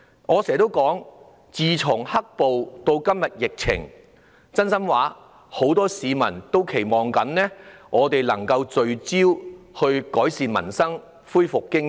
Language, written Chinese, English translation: Cantonese, 我經常說，自"黑暴"出現，到今天疫情發生，很多市民也期望立法會能夠聚焦於改善民生，恢復經濟。, I often say that since the emergence of black violence until the epidemic today many people have been hoping that the Legislative Council can zoom in on the improvements of peoples livelihood and economic recovery